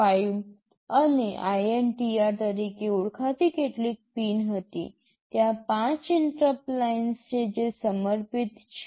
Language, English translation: Gujarati, 5 and INTR; there are five interrupt lines which are dedicated